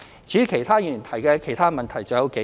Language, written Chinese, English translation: Cantonese, 至於其他議員提及的其他問題還有數個。, Other Members have raised several other issues as well